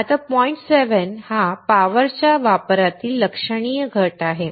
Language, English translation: Marathi, Now, the point 7 is the significant reduction in the power consumption